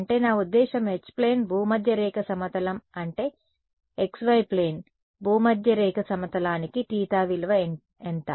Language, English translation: Telugu, I mean for H plane is the equatorial plane right that is the x y plane, what is the value of theta for the equatorial plane